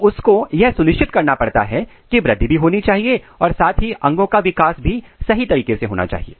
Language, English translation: Hindi, So, it has to ensure that it achieve the growth at the same time it also has to ensure that all organs are being made properly